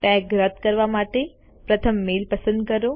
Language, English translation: Gujarati, To remove the tag, first select the mail